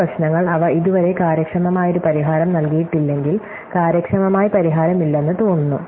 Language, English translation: Malayalam, Therefore, these problems, if they have not yet yield it and efficient solution, then it looks likely that there is no efficient solution